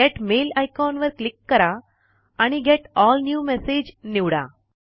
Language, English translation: Marathi, Click the Get Mail icon and select Get All New Messages